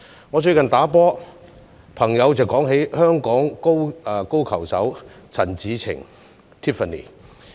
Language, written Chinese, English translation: Cantonese, 我最近打球時，有朋友說起香港高爾夫球手陳芷澄。, I heard a friend of mine talking about Tiffany CHAN a Hong Kong golfer in a recent golf game